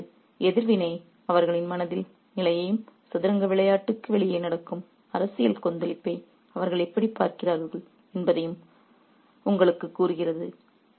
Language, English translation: Tamil, So, this reaction tells you the state of their mind and how they look at the political turmoil that's happening outside of the game of chess